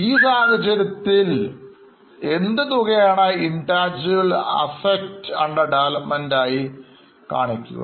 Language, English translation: Malayalam, That will be shown as intangible asset under development